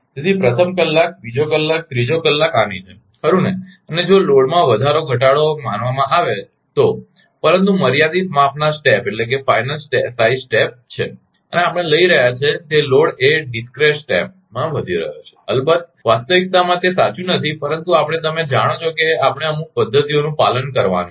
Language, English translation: Gujarati, So, first hour second hour third hour like this right and, if the load is assumed to increase in small, but finite size step, I am we are taking the load is increasing discrete step a reality of course, it is not true, but we will have to ah you know we have to follow certain methodology right